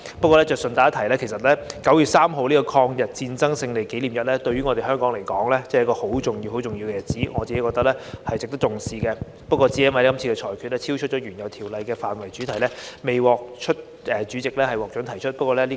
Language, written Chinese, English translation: Cantonese, 不過，順帶一提，其實9月3日的抗日戰爭勝利紀念日對香港來說是十分重要的日子，我個人認為值得重視，但這次因被裁定超出原有《條例草案》的範圍及主題而未獲主席批准提出。, Nevertheless I would like to mention in passing that the Victory Day of the War of Resistance against Japanese Aggression on 3 September is very important day to Hong Kong so I personally consider it worth attaching great importance . However it was ruled inadmissible by the President because it is outside the original scope and subject matter of the Bill